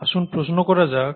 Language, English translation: Bengali, Let’s ask the question